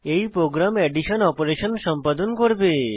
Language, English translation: Bengali, This will perform the addition operation